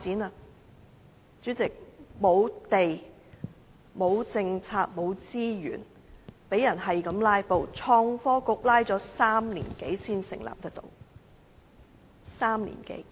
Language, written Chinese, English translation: Cantonese, 代理主席，沒有土地、沒有政策、沒有資源、被人不斷"拉布"，創新及科技局拖拉了3年多才能成立，是3年多。, Deputy Chairman we have no land no policies no resources and are subjected to continual filibusters . The Innovation and Technology Bureau was established only after more than three years of stalling―it was more than three years